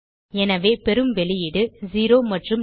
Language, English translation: Tamil, So we got the output as 0 and null